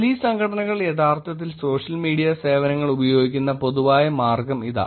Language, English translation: Malayalam, Here is the general way by which Police Organizations are actually using the social media services